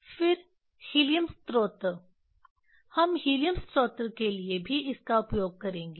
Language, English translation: Hindi, Then helium source that is also we will use this for helium source